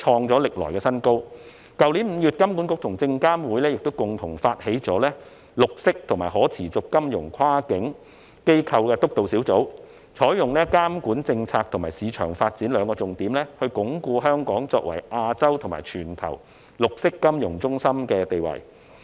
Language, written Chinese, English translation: Cantonese, 去年5月，香港金融管理局和證券及期貨事務監察委員會共同發起成立綠色和可持續金融跨境機構督導小組，採用監管政策和市場發展為兩大重點，鞏固香港作為亞洲及全球綠色金融中心的地位。, Last May HKMA and the Securities and Futures Commission initiated the establishment of the Green and Sustainable Finance Cross - Agency Steering Group which focuses on the two aspects of regulatory policy and market development to bolster Hong Kongs position as a green finance centre in Asia and globally